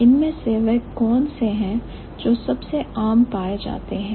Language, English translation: Hindi, Which one is, which ones are the most commonly found